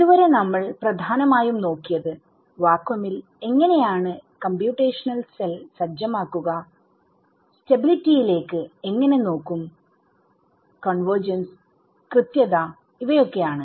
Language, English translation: Malayalam, So, far in vacuum looked at the main thing how do you set up the computational cell, how do you look at stability, how do you look at convergence and accuracy all of those things right